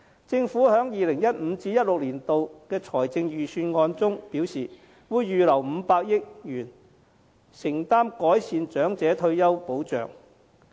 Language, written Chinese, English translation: Cantonese, 政府在 2015-2016 年度的財政預算案中表示，會預留500億元承擔改善長者退休保障。, As stated by the Government in the 2015 - 2016 Budget it will set aside 50 billion for the purpose of providing better retirement protection for the elderly